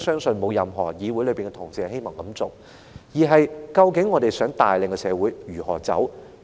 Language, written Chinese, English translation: Cantonese, 所以，問題是究竟我們想帶領社會如何走？, Therefore the question is how exactly do we want to lead society?